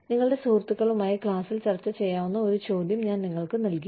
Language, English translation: Malayalam, I gave you a question that, you could discuss in class, with your friends